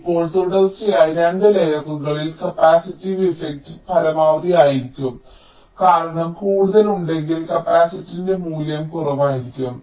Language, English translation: Malayalam, now, across two consecutive layers, the capacitive affect will be the maximum, because if there are further, if away, the value of the capacitance will be less